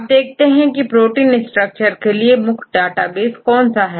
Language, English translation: Hindi, Now what is the major database for protein structure